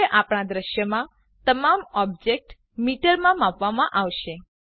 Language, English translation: Gujarati, Now all objects in our scene will be measured in metres